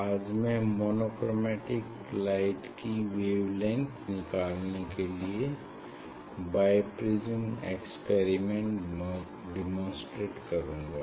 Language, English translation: Hindi, today I will demonstrate this Bi Prism experiment for measuring the wavelength of a monochromatic light